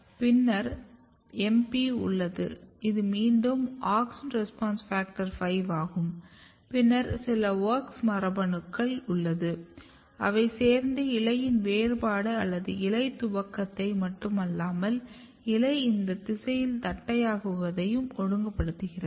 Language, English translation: Tamil, Then you have MP which is again AUXIN RESPONSE FACTOR 5, then some of the WOX genes and their activity together basically ensures not only the leaf differentiation or leaf initiation, but also it regulates leaf flattening in these direction